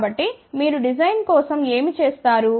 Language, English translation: Telugu, So, what you do for the design